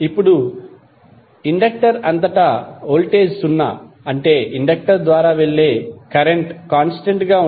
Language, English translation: Telugu, Now voltage across inductor is zero, it means that current through inductor is constant